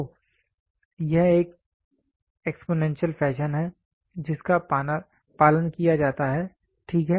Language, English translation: Hindi, So, this is an exponential fashion which is followed, ok